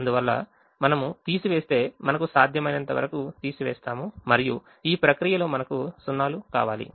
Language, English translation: Telugu, therefore, if we subtract, we subtract as much as we can and in the process we want zeros